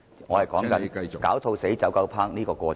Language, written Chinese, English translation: Cantonese, 我只是想解說"狡兔死，走狗烹"的過程。, I only intended to explain the process of how the running dogs will be cooked when all the hares are dead